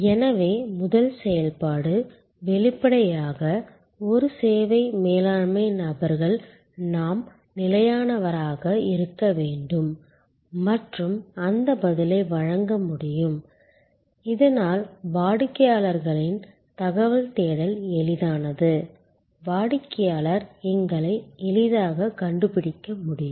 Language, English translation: Tamil, So, the first activity; obviously, where a service management people we have to be stable and able to provide that response, so that the customer's information search is easy, the customer can easily find us